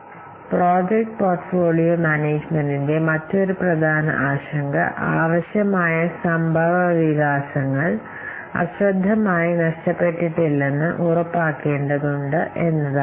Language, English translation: Malayalam, So another important concern of project portfolio management is that we have to ensure that necessary developments have not been inadvertently missed